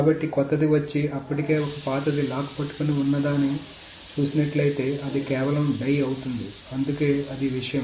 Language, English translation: Telugu, So if the younger one comes and sees that an older one is already holding the lock, it simply dies